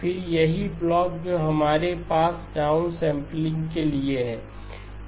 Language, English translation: Hindi, Then the corresponding blocks that we have for the down sampling